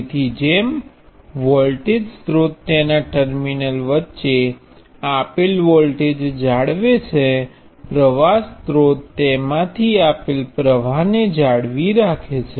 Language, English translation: Gujarati, So just like a voltage source maintains a given voltage between its terminals; a current source maintains a given current flowing through it